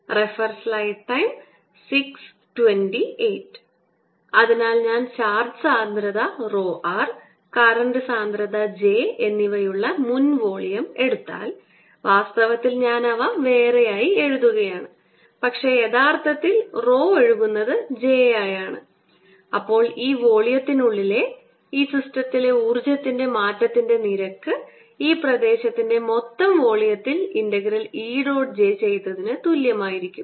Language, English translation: Malayalam, so two ways we have seen that the power delivered is j dot e and therefore, if i see, if i go back to my earlier volume in which there is this charge density, rho r and current density j actually i am writing them separately, but actually rho r flowing is j then the rate of change in the energy of this system inside this volume is nothing but d by d, t of the energy content, and i should remove this d by d t, this is nothing but e dot j integrated over the volume of this region